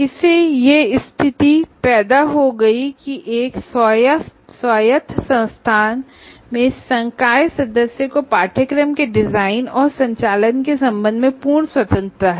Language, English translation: Hindi, This led to a position that faculty member in an autonomous institution has total freedom with regard to design and conduct of a course